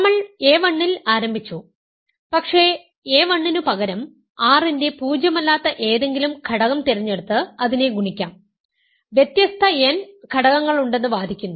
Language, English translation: Malayalam, We started with a1, but I instead of a1, we can choose any non zero element of R and multiply by that, argue that there are n distinct elements